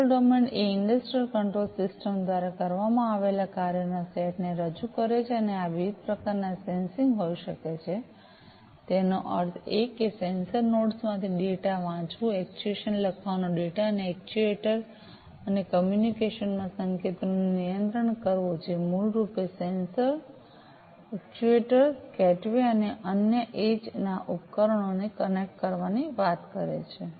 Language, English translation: Gujarati, The control domain represents the set of functions that are performed by the industrial control system and these could be of different types sensing; that means, reading the data from the sensor nodes, actuation writing data and controlling signals into an actuator and communication, which basically talks about connecting the sensors, actuators, gateways, and other edge devices